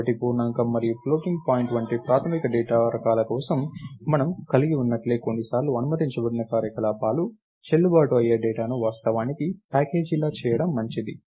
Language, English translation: Telugu, So, just like what we had for the basic data types like integer and floating point and so, on sometimes its good to actually package the data that go ah